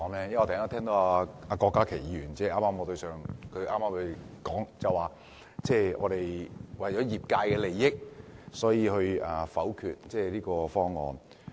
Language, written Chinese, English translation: Cantonese, 因為我聽到郭家麒議員剛才說，我是為了業界的利益才否決這個方案。, It is because I heard Dr KWOK Ka - ki said just now that I was going to veto the proposal for the interests of the industry